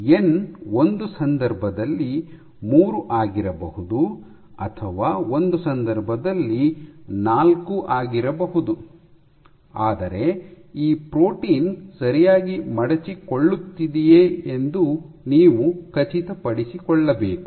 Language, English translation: Kannada, So, your n might be 3 in one case or n might be 4 in one case, but you need to make sure that this protein is holding property